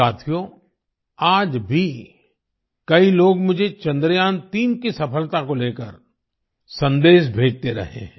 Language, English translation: Hindi, Friends, even today many people are sending me messages pertaining to the success of Chandrayaan3